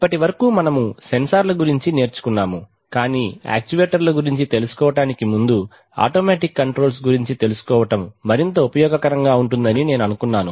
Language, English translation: Telugu, So far we have learnt about sensors, but before learning about actuators, I thought that will be more useful to learn about automatic controls